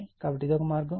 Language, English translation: Telugu, So, this is one way